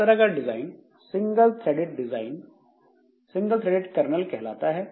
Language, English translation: Hindi, So, this type of design is known as single threaded kernel